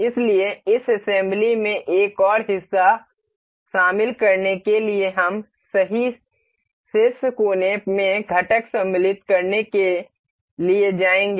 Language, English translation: Hindi, So, to include another part in this assembly we will go to insert component right there in the right top corner